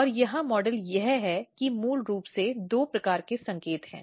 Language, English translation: Hindi, And the model here is that there are basically two types of signals